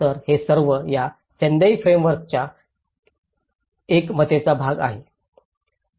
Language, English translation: Marathi, So, these are all part of the consensus of this Sendai Framework